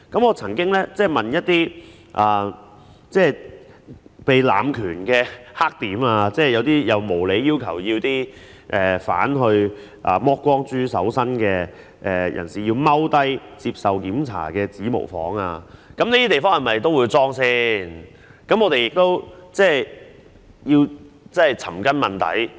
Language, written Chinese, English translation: Cantonese, 我曾經就一些濫權的"黑點"提問，例如無理地要求犯人"剝光豬"搜身並蹲下來接受檢查的指模房，在這些地方是否也會安裝閉路電視？, I have raised questions about the blind spots regarding abuse of power such as the fingerprint rooms where prisoners are unreasonably requested to undergo a strip search and kneel down to be checked . Will CCTV cameras be installed at these places too?